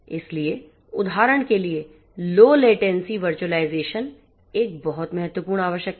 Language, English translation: Hindi, So, for example, low latency virtualization is a very important requirement